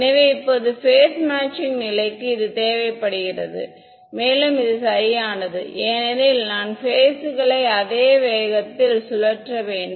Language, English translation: Tamil, So, now phase matching condition required this and this right because the phases I have to rotate at the same speed ok